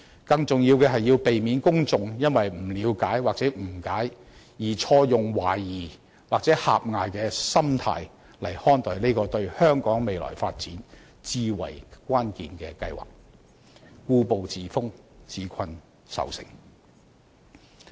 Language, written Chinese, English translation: Cantonese, 更重要的是，要避免公眾因不了解或誤解，而錯用懷疑或狹隘的心態來看待這個對香港未來發展至為關鍵的計劃，故步自封，自困愁城。, More importantly efforts should be made to prevent people from mistakenly treating the development plan which is extremely crucial to the future development of Hong Kong with a skeptical attitude or narrow mindset due to unfamiliarity or misunderstanding and thus refusing to make progress and indulging in a gloomy mood